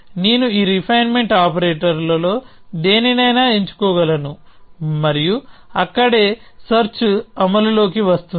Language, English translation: Telugu, So, I could choose any one of these refinement operators, and that is where the search will come into play